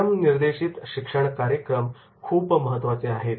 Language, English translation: Marathi, Self directed learning programs are very, very important